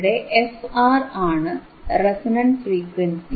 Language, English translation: Malayalam, What is the resonant frequency